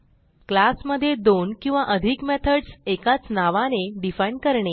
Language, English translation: Marathi, Define two or more methods with same name within a class